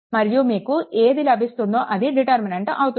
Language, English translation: Telugu, And whatever you will get that will be your determinant, right